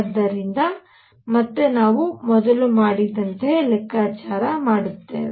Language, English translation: Kannada, So, again we will do a calculation like what we did earlier